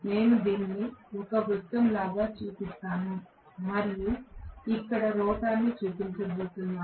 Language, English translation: Telugu, Let me just show it like this a circle and then I am going to show the rotor here